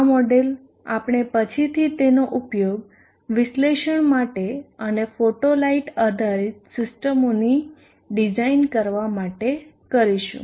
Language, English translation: Gujarati, This model we would later on like to use it for analysis and design of photo light based systems